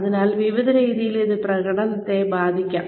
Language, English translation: Malayalam, So, various ways in which, this can hamper performance